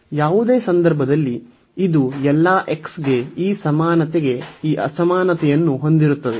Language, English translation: Kannada, So, in any case this for all x this equality this inequality will hold